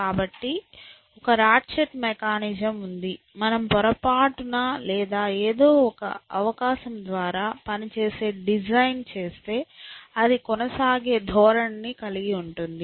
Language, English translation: Telugu, So, there is a ratchet mechanism, if you by mistake or by some chance event designed something which works then, it has a tendency to persist